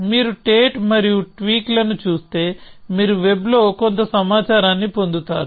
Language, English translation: Telugu, So, if you look of Tate and tweak, you will find get some information on the web